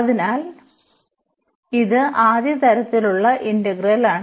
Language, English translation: Malayalam, So, this is the integral of first kind